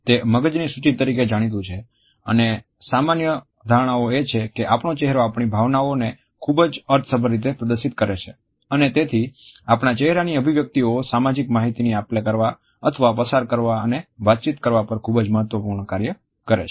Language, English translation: Gujarati, It is popularly known as an index of mind and normal perception is that our face displays our emotions, our feelings in a very expressive manner and therefore, our facial expressions serve a very significant social function of passing on exchanging and communicating social information